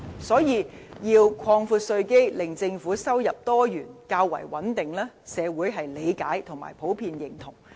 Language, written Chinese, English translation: Cantonese, 所以，要擴闊稅基，令政府收入多元和較為穩定，社會是理解和普遍認同。, So society generally understands and recognizes the need for broadening the tax base in order to create more diversified and stable sources of government income